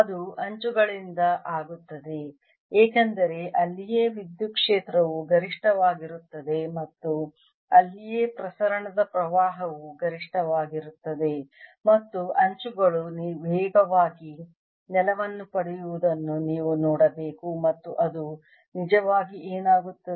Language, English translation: Kannada, it will from the edges, because that is where electric field is maximum and that is where the current of diffusion would be maximum, and you should see the edges getting brown faster, and that is indeed what happens, right